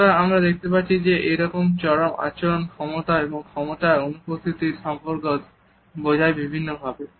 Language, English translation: Bengali, So, we find that these extremities suggest the relationship between the power and the absence of power in different ways